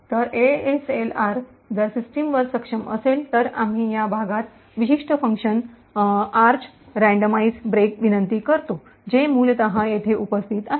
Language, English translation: Marathi, So, if ASLR is enabled on the system we invoke this part particular function arch randomize break which essentially is present here